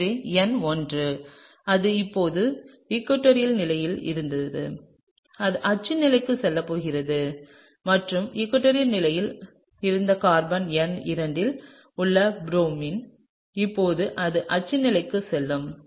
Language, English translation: Tamil, So, number 1, it was in the equatorial position now, it’s going to go to the axial position, right; and Br which is in carbon number 2 which used to be in the equatorial position, now it will go into the axial position